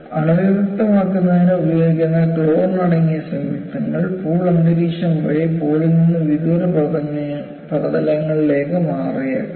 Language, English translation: Malayalam, So, what you will have to look at is, the chlorine containing compounds, which are used for disinfection, may transfer via the pool atmosphere to surfaces remote from the pool itself